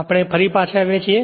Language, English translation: Gujarati, Ok, we are back again